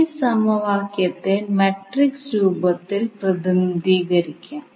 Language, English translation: Malayalam, You can represent this equation in matrix form